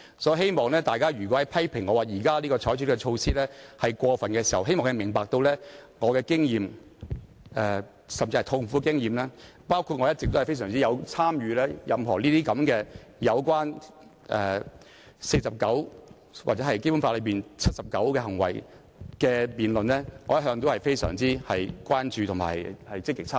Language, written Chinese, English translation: Cantonese, 因此，當大家批評我現時採取的措施是過分時，我希望他們明白我痛苦的經驗，以及我一直對《議事規則》第49條或《基本法》第七十九條所處理的行為的辯論均非常關注並積極參與。, Therefore when Members criticize the present measure initiated by me as having gone overboard I hope they would give regard to my painful experience as well as my grave concern about and active participation in debates addressing behaviour specified in Rule 49 of the Rules of Procedures and Article 79 of the Basic Law all along